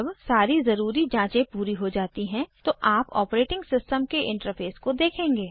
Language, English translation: Hindi, When all the necessary checks are done, you will see the operating systems interface